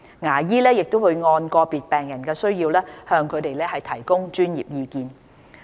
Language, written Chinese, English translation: Cantonese, 牙醫也會按個別病人的需要向他們提供專業意見。, Professional advice is also given by dentists to patients with regard to their individual needs